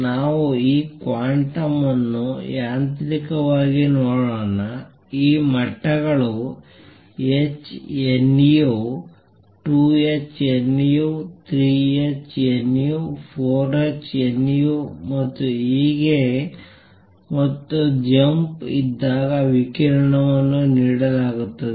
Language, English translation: Kannada, Let us look at it quantum mechanically, there are these levels h nu 2 h nu 3 h nu 4 h nu and so, on and the radiation is given out when there is a jump